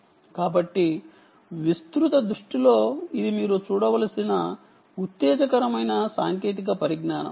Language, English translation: Telugu, so in broad view ah, its an exciting technology that you should look out for